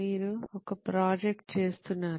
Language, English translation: Telugu, You are doing a project